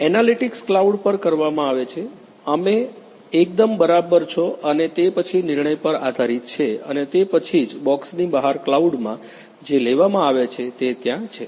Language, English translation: Gujarati, Analytics is performed at the cloud, you are absolutely right and then based on the decision and then you know which is taken in the cloud out of the knowledge box is there